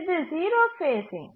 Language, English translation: Tamil, That is zero phasing